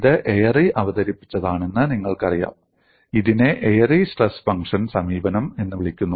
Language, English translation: Malayalam, You know this was introduced by Airy and this is known as Airy's stress function approach